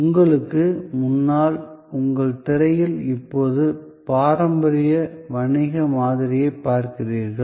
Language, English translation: Tamil, Now, on your screen in front of you, you now see the traditional model of business